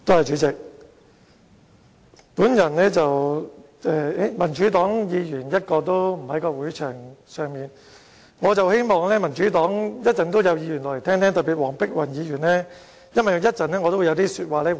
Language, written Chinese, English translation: Cantonese, 現時會議廳內一位民主黨議員也沒有，但我希望稍後會有民主黨議員聆聽我的發言，特別是黃碧雲議員，因為我會作出回應。, There is not even one Member of the Democratic Party present in the Chamber now but I hope that they especially Dr Helena WONG will listen to my speech as I am going to make a response